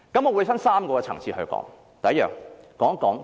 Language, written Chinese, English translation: Cantonese, 我會分3個層次說明。, I will explain this at three levels